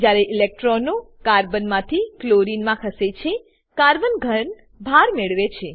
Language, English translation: Gujarati, When electrons shift from Carbon to Chlorine, Carbon gains a positive charge